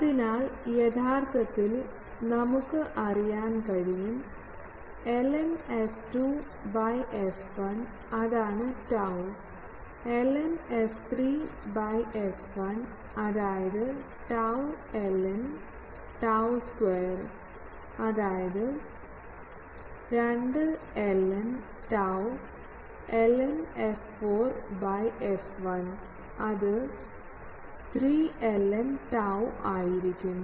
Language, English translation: Malayalam, So, actually we can know that what is ln f 2 by f 1; that is tau, ln f 3 by f 1 that is tau ln tau square; that means, 2 ln tau, ln f 4 by f 1 that will be 3 ln tau